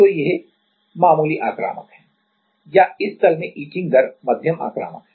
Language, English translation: Hindi, So, this is moderately aggressive or the etching rate is moderately aggressive in this plane